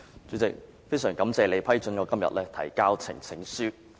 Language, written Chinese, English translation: Cantonese, 主席，非常感謝你批准我今天提交呈請書。, President I am very grateful to you for approving my presentation of the petition today